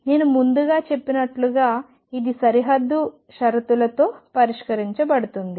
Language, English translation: Telugu, And as I said earlier this is to be solved with boundary conditions